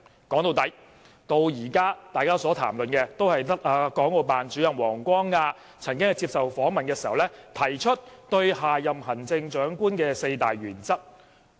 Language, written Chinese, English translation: Cantonese, 說到底，大家至今所談論的都只有國務院港澳事務辦公室主任王光亞曾經在接受訪問時，提出下任行政長官的4項原則。, Indeed the matter referred to by Members up till now is simply that Director of the Hong Kong and Macao Affairs Office of the State Council WANG Guangya has named four criteria of the Chief Executive of the next term in an interview